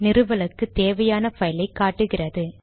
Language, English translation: Tamil, And it shows you the file that needs to be installed